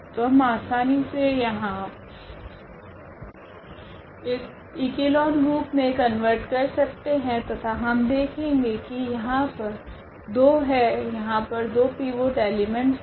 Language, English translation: Hindi, So, we can easily convert to this echelon form here and then we will see there will be 2; there will be 2 pivot elements here